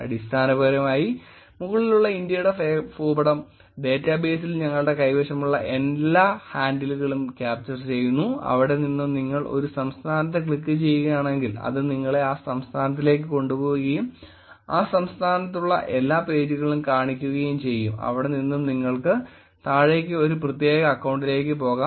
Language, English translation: Malayalam, Essentially the India map on top is capturing all the handles that we have in the database and from there if you click on a state it is going to take you to the state and show you all the pages that are there in that state, from there you can go down, go to a specific account